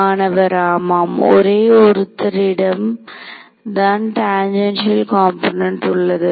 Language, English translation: Tamil, There is only one guy with the tangential component